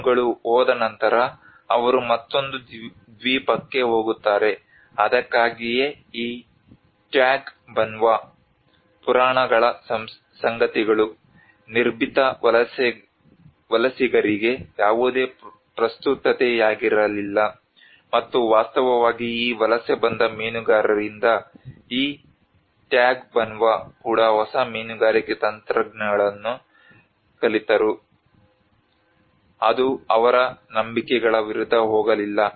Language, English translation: Kannada, With the fish gone, they move on to another Island that is what so these Tagbanwa myths were no relevance to the fearless migrant, and in fact with these migrated fishermen coming into the picture even this Tagbanwa learned new fishing techniques that did not go against their beliefs